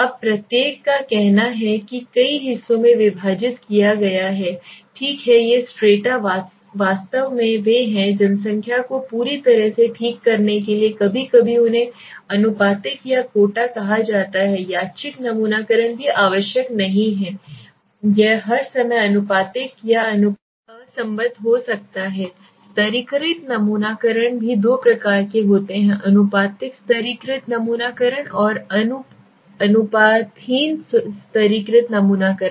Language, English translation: Hindi, Now each let s say has been divided into several strata okay these strata has actually they are completely defining the population okay so sometimes they are called proportional or quota random sampling also but it is not necessary that it should be proportional at all the time proportional it could be disproportionate lets stratified sampling is also there stratified sampling are of two types proportionate stratified sampling and disproportionate stratified sampling okay but one thing is there which are I am telling right